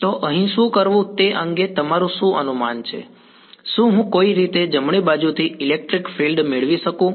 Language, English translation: Gujarati, So, what is your guesses as to what to do over here can I get a electric field from in the right hand side somehow